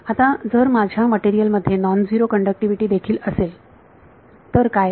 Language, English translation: Marathi, Now, what if my material also has non zero conductivity